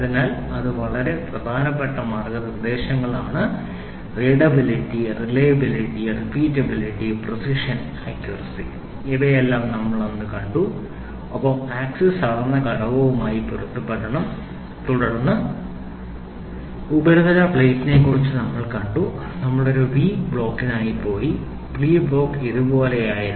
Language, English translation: Malayalam, So, this is very important guidelines readability, reliability, repeatability, precision, accuracy all these things we saw then, coinciding the axes should coincide with the measured component then we saw about surface plate, we went for a V block; V block was something like this